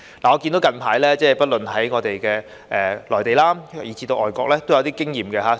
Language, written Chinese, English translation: Cantonese, 我看到近來，不論是內地以至外國，也有一些經驗可以參考。, I notice that there are recently some experiences in both the Mainland and other overseas countries from which we can draw reference